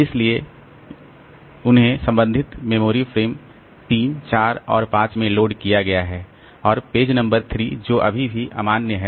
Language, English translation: Hindi, So, they have been loaded into corresponding memory frames 3, 4 and 5 and page number 3 that is still invalid